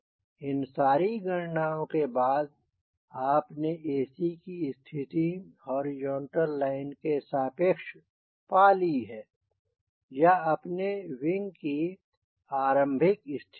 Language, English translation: Hindi, after all this calculation you have determine what will be the location of ac from horizontal line or from starting of your wing position